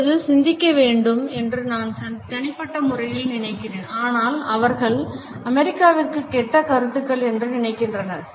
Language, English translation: Tamil, Now, I personally think they had ideas, but they were bad ideas they were bad ideas for America all of the